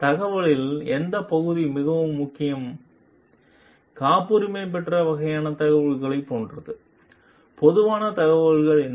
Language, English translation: Tamil, What part of the information was like very core, patented kind of information and what is a general information